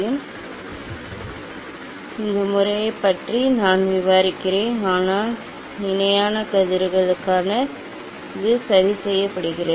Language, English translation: Tamil, yes, nice, I describe about this method, but this adjustment for parallel rays is done